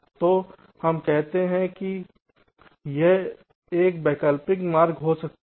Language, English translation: Hindi, so let say, this can be one alternate route